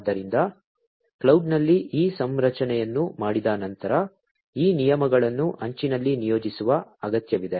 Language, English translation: Kannada, So, after this configuration is done at the cloud, it is required to deploy these rules at the edge